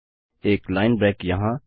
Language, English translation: Hindi, A line break here